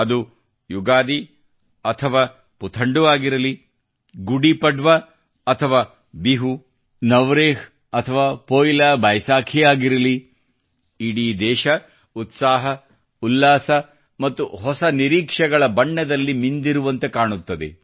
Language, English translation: Kannada, Be it Ugadi or Puthandu, Gudi Padwa or Bihu, Navreh or Poila, or Boishakh or Baisakhi the whole country will be drenched in the color of zeal, enthusiasm and new expectations